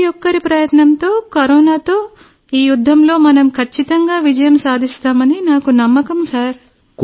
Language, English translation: Telugu, and I am sure that with everyone's efforts, we will definitely win this battle against Corona